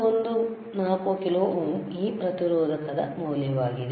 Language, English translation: Kannada, 14 kilo ohm is the value of this resistor, right